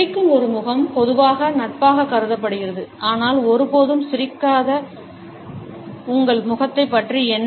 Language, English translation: Tamil, ‘A face that smiles’ is normally considered to be friendly, but what about your face which never smiles